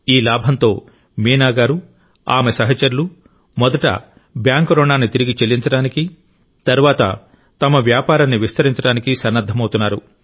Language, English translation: Telugu, With this profit, Meena ji, and her colleagues, are arranging to repay the bank loan and then seeking avenues to expand their business